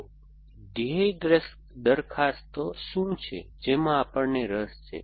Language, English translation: Gujarati, So, what are the goal propositions that we are interested in